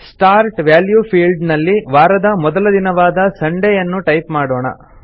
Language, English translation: Kannada, In the Start value field, we type our first day of the week, that is, Sunday